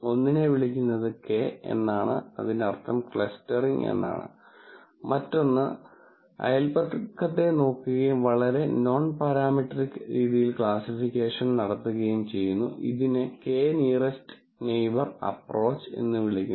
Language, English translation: Malayalam, One is called K means clustering, the other one is really just looking at neighborhood and doing classification in a very nonparametric fashion, which is called the K nearest neighbor approach